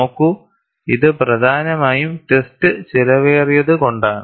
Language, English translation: Malayalam, See, this is mainly because, the test is expensive